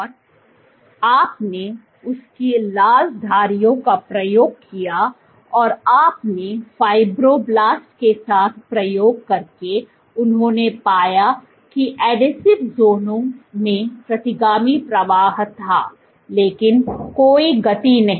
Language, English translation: Hindi, And you his red stripes and you did the experiment with fibroblasts what they found was there was retrograde flow in adhesive zones, but no movement